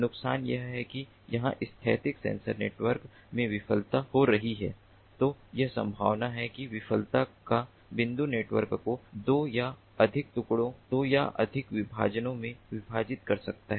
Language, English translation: Hindi, the disadvantage is that if there is a failure in the static sensor network, then it is likely that that point of failure can partition the network into two or more fragments, two or more partitions